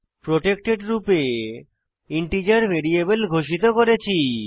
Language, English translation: Bengali, In this we have declared integer variables as as protected